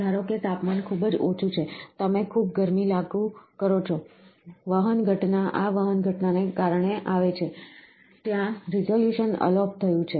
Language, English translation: Gujarati, Suppose the temperature is too low, you apply so much of heat, conduction phenomena comes because of this conduction phenomena, there is a, the resolution is lost